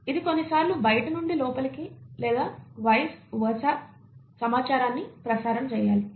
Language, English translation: Telugu, It needs to sometimes relay the information from outside to inside or vice versa